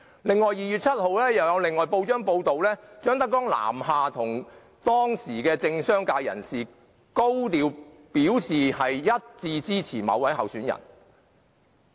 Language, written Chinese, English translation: Cantonese, 在2月7日有一份報章報道，張德江南下向當時的政商界人士高調表示支持某位候選人。, On 7 February it was reported in the press that ZHANG Dejiang came south and told political leaders and businessmen about his support for a certain candidate in a high - profile manner